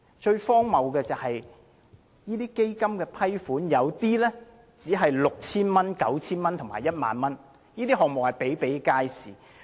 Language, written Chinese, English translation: Cantonese, 最荒謬的是，基金批出的資助額有部分是 6,000 元、9,000 元和 10,000 元，有關項目比比皆是。, Most ridiculously the amounts of approved funding under the Fund for some projects are 6,000 9,000 and 10,000 . Such projects are very common